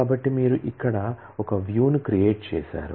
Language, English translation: Telugu, So, you have created a view here